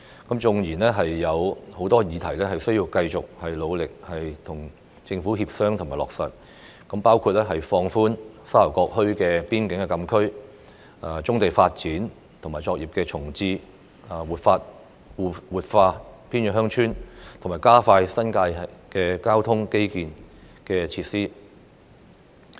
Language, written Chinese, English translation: Cantonese, 當然，仍有許多事項需要繼續努力地與政府協商，方可令相關政策得以落實，包括放寬沙頭角墟邊境禁區、發展棕地及重置作業、活化偏遠鄉村及加快新界交通基建設施。, Of course there are still a lot of matters that need to be negotiated with the Government vigorously before the relevant policies can be implemented including the relaxation of the restrictions imposed on the Sha Tau Kok Frontier Closed Area brownfield development and reprovisioning of brownfield operations revitalization of remote villages and acceleration of transport infrastructure construction in the New Territories